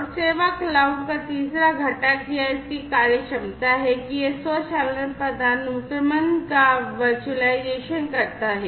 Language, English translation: Hindi, And the third component of the service cloud or this or its functionality is the virtualization of the automation hierarchy